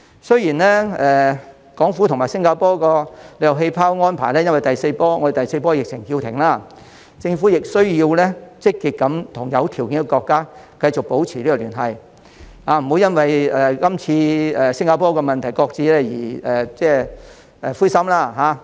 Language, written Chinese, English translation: Cantonese, 雖然港府和新加坡的旅遊氣泡安排因為我們的第四波疫情而叫停，政府仍需要積極和有條件的國家繼續保持聯繫，不要因為這次與新加坡的安排擱置而感到灰心。, Although the Hong Kong - Singapore Air Travel Bubble arrangement is deferred due to the fourth wave of the pandemic the Government should proactively maintain connection with those countries which are suitable for such arrangements . The Government should not feel discouraged by the postponement of its arrangement with Singapore